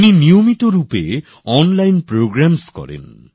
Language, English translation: Bengali, He regularly conducts online programmes